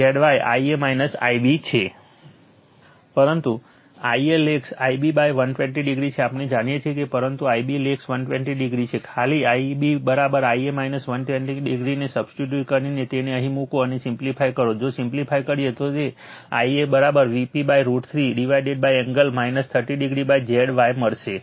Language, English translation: Gujarati, But I a lags I b by 120 degree, we know that, but I b lags 120 degree, simply substitute I b is equal to I a minus 120 degree, you put it here and you simplify, if you simplify you will get, I a is equal to V p upon root 3 divided by angle minus 30 degree by Z y